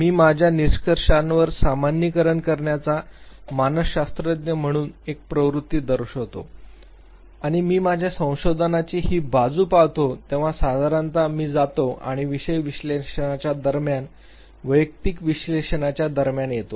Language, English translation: Marathi, I show a tendency as a psychologist to generalize my findings and when I look at this very aspect of my research then usually I go and land up doing between individual analysis between subject analysis